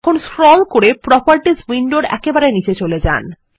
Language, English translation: Bengali, Now let us scroll to the bottom in the Properties window